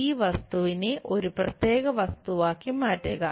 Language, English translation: Malayalam, Turn this object into one particular thing